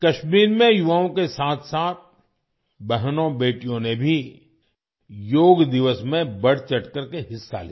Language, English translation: Hindi, In Kashmir, along with the youth, sisters and daughters also participated enthusiastically on Yoga Day